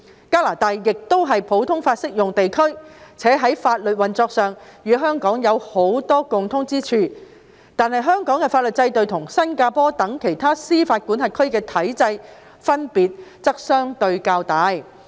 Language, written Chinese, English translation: Cantonese, 加拿大亦是普通法適用地區，且在法律運作上與香港有許多共通之處，但香港的法律制度與新加坡等其他司法管轄區的體制分別則相對較大。, Canada is also a common law jurisdiction and has much in common with Hong Kong in terms of the operation of the law . Yet the legal systems in other jurisdictions such as Singapore are relatively different from that of Hong Kong